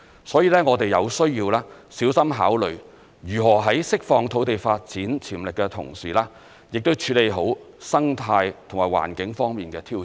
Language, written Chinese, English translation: Cantonese, 所以，我們有需要小心考慮，如何在釋放土地發展潛力的同時，處理好生態及環境方面的挑戰。, For that reason we need to consider carefully how the development potential of the site should be released in conjunction with the proper handling of the ecological and environmental challenge